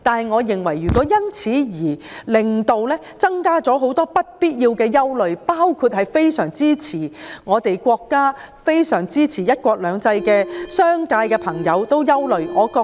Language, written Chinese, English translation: Cantonese, 我認為，修例不應增加不必要的憂慮，特別是支持國家及"一國兩制"的商界朋友的憂慮。, In my opinion the legislative amendment should not arouse additional unnecessary worry especially the worry of members of the business sector who support the State and one country two systems